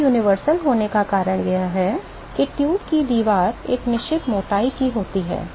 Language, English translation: Hindi, The reason why it is universal is, the wall of the tube is a certain definite thickness right